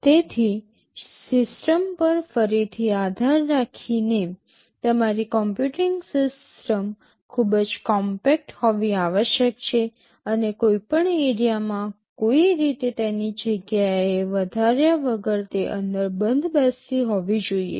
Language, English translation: Gujarati, So, depending again on the system, your computing system must be made very compact and should fit inside without any appreciable increase in area